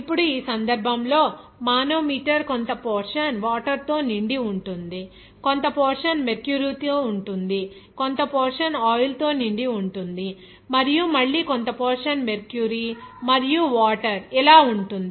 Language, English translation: Telugu, Now, in this case, the manometer is filled with some portion is with water, some portion is with mercury, some portion will be filled with oil, and again some portion will be as mercury and water like this